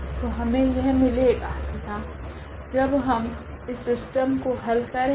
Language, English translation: Hindi, So, we have this and then when we solve this system